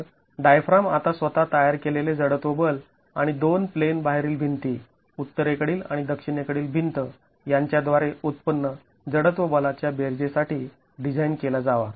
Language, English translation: Marathi, So, the diaphragm now has to be designed for the sum of the inertial force generated by itself and the inertial force generated by the two out of plane walls, the northern wall and the southern wall